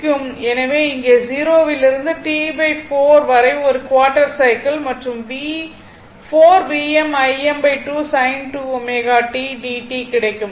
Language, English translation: Tamil, So, in this case if you do this 0 to T by 4 that only quarter cycle 0 to 2 by your what you call 4 V m I m by 2 sin 2 omega t dt